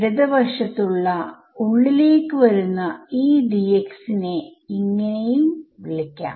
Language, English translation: Malayalam, So, this D x which is going outward over here I will call it D x plus